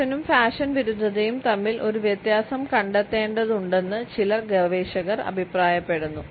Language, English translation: Malayalam, Some researchers suggest that a distinction has to be drawn between fashion and anti fashion